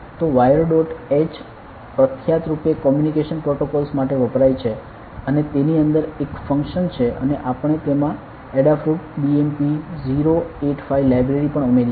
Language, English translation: Gujarati, So, wire dot h is popularly used for communication protocols and it has a function inside it and we also added the Adafruit BMP085 library in doing it